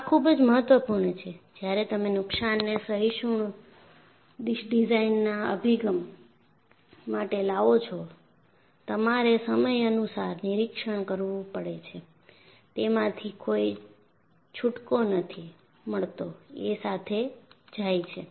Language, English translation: Gujarati, This is very important, the moment you come for damage tolerant design approach, you have to do periodic inspection; there is no escape from that they go together